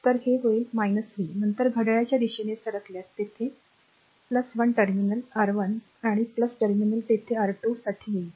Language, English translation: Marathi, So, it will be minus v, then you moving clockwise so, it will encounter plus terminal here, for R 1 and plus terminal here for R 2